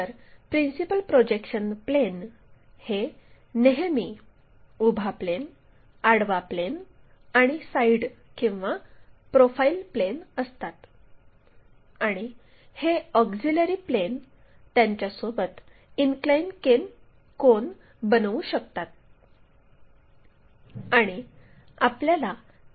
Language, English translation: Marathi, So, our principle projection planes are always be vertical plane, horizontal plane and side or profile plane and these auxiliary planes may make an inclination angle with them